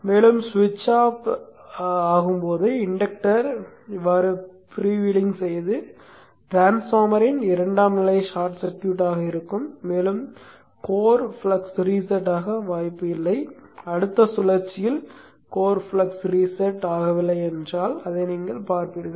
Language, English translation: Tamil, And when the switches off, the inductor is freewheeling like this and the secondary of the transformer is effectively short circuited and there is no chance for the core flux to reset